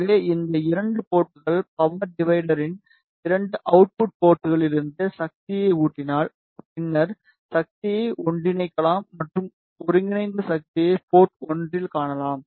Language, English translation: Tamil, So, these 2 ports if we feed the power from the 2 output ports of power divider, then the power can be combined and the combined power can be observed at the port 1